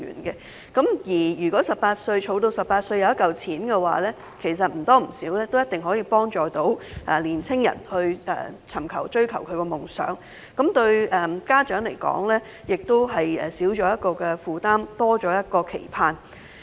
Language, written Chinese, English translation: Cantonese, 到了他們18歲時，便會儲蓄到一筆錢，或多或少可以幫助年青人追求夢想，而家長亦會少一個負擔，多一個期盼。, When they reach 18 years old a sum of money will be saved up which may more or less help the young people pursue their dreams . Also parents will have one less burden and one more hope